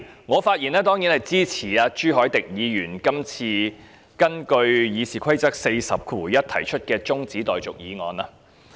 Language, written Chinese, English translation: Cantonese, 我發言當然是支持朱凱廸議員根據《議事規則》第401條提出的中止待續議案。, I rise to speak certainly in support of the adjournment motion proposed by Mr CHU Hoi - dick in accordance with Rule 401 of the Rules of Procedure